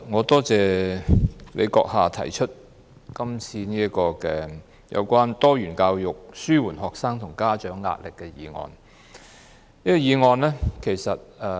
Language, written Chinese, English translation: Cantonese, 代理主席，感謝你動議有關"落實多元教育紓緩學生及家長壓力"的議案。, Deputy President thank you for moving the motion on Implementing diversified education to alleviate the pressure on students and parents